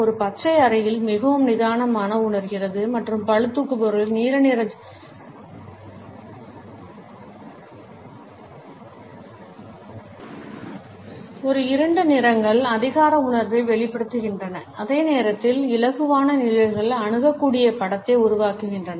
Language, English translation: Tamil, A darker colors convey a sense of authority whereas, lighter shades project an approachable image